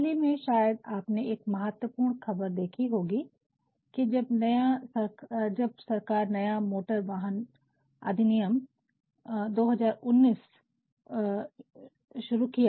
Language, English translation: Hindi, Recently you might have come across a very important piece of news, when the Government started a new Motor Vehicle Act 2019